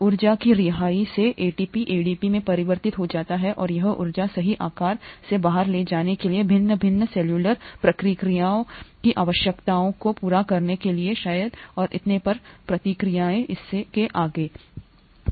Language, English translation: Hindi, ATP gets converted to ADP, by the release of energy and this energy is rightly sized, right, to carry out, to fulfil the needs of various different cellular processes, reactions maybe and so on so forth